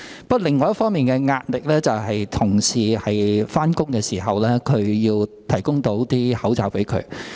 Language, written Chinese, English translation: Cantonese, 不過，另一方面的壓力是當同事上班時，我們要向他們提供口罩。, However the other pressure is that when colleagues go to work we must provide them with face masks